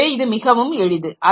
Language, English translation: Tamil, So, that makes it very easy